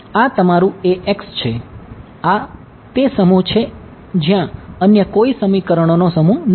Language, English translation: Gujarati, This is your A x this is that set there is no other set of equations